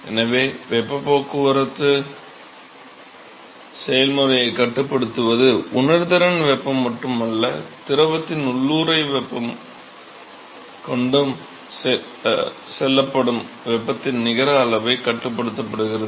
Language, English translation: Tamil, So, it is not just the sensible heat that controls the heat transport process that also the latent heat of the fluid controls the net amount of heat that is transported